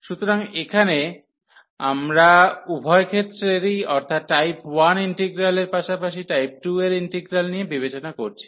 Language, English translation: Bengali, So, here we are considering both the cases the integral of type 1 as well as integral of type 2